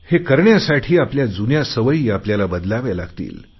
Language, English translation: Marathi, So we will have to change some of our old habits as well